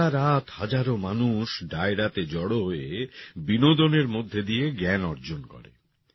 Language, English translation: Bengali, Throughout the night, thousands of people join Dairo and acquire knowledge along with entertainment